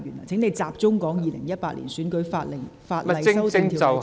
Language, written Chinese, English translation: Cantonese, 請你集中討論《2018年選舉法例條例草案》的內容。, Please focus your discussion on the contents of the Electoral Legislation Bill 2018